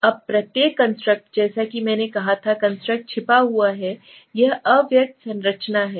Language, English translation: Hindi, Now each construct as I said the construct is hidden, it is the latent structure